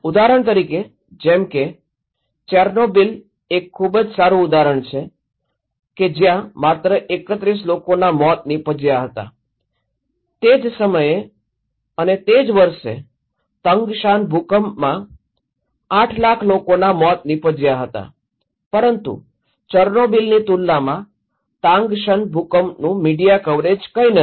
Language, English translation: Gujarati, For example, a very good example like Chernobyl okay, that killed only 31 deaths and Tangshan earthquake at the same time and same year killed 800,000 people but compared to Chernobyl the media coverage of Tangshan earthquake is nothing, was nothing